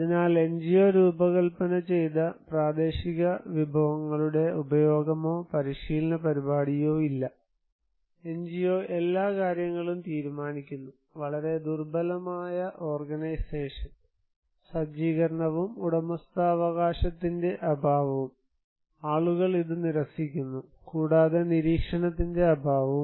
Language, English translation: Malayalam, So, what do we see here that no utilisations of local resources designed by the NGO, no training program, NGO decide every aspect; very weak organizational setup and absence of ownership right, people refuse this one and absence of monitoring also